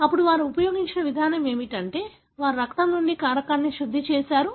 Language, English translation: Telugu, So, the approach that they used then was that they purified the factor from the blood